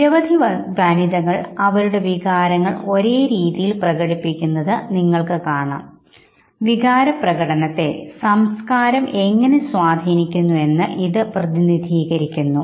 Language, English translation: Malayalam, You must have asked many female winners expressing their emotions the same way, and this actually represents that how the other culture actually influences your expression of emotion